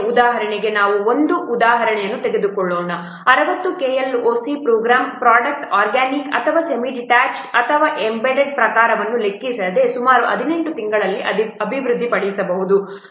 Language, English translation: Kannada, Let's take an example for example a 60 KLOC program it can be developed in approximately 18 months, irrespective of whether the product is organic or semi detas or embedded type